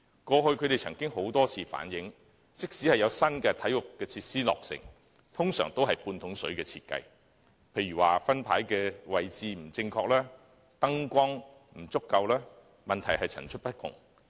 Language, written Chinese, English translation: Cantonese, 他們過去曾多次反映，即使有新體育設施落成，但其設計通常都是"半桶水"，例如分牌的位置不正確、燈光不足夠，問題層出不窮。, Although members of the sports community have in the past relayed their views time and again that even if new sports facilities are completed their designs are usually not entirely satisfactory . Moreover there are all sorts of problems with the facilities such as wrong positioning of scoreboards inadequate lighting and so on